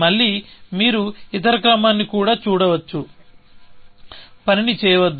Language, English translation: Telugu, Again, you can see the other order also, does not do the task